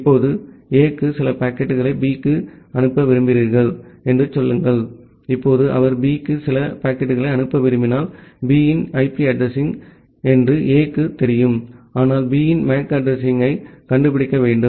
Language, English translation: Tamil, Now say A wants to send some packet to B, now if he wants to send some packet to B, A knows the say the IP address of B but A need to find out the MAC address of B